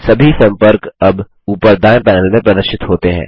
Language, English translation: Hindi, All the contacts are now visible in the top right panel